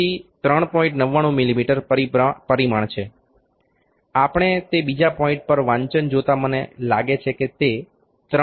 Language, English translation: Gujarati, 99 mm is dimension also we can see the reading at another point it might be, I think it may be 3